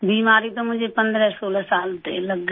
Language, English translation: Hindi, I got sick when I was about 1516 years old